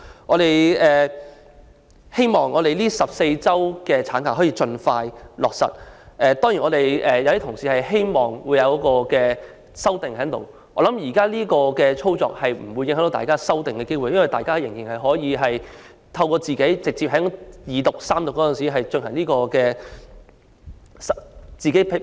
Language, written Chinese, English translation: Cantonese, 我們希望能夠盡快落實14周法定產假，當然有些同事會希望提出修正案，但我相信現在這項安排不會影響大家提出修正案的機會，因為大家仍然可以在二讀或三讀時提出修正案。, We hope that the statutory maternity leave of 14 weeks can be implemented as soon as possible . Certainly some colleagues may wish to propose amendments yet I believe the present arrangement will not affect Members opportunities of proposing amendments for Members may still propose their amendments during the Second Reading or Third Reading of the Bill